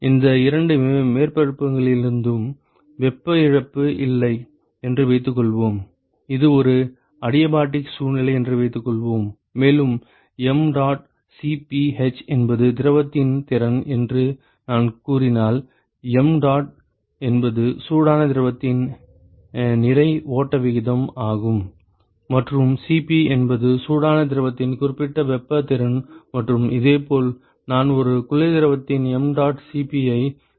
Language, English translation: Tamil, And let us assume that there is no heat loss from the both these surfaces, let us assume, that it is a an adiabatic situation and if I also say that mdot Cp h is the capacity of the fluid, mdot is the mass flow rate of the hot fluid and Cp is the specific heat capacity of the hot fluid and similarly I can throw this mdot Cp of a cold fluid